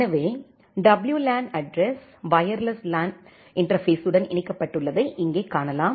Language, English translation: Tamil, So, here you can see that the WLAN address is it is connected to the wireless LAN interface